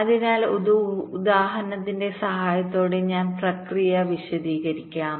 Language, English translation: Malayalam, so the process i will just explain with the help of an example